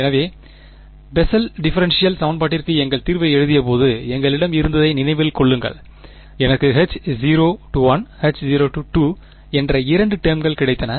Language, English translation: Tamil, So, remember we had when we wrote our solution to the Bessel differential equation I got two terms H naught 1, H naught 2